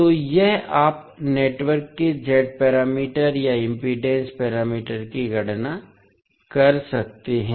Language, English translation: Hindi, So, this you can calculate the Z parameters or impedance parameters of the network